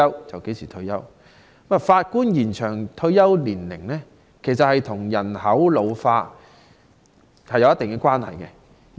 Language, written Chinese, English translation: Cantonese, 延展法官退休年齡與人口老化有一定關係。, Extension of retirement age of judges is surely related to population ageing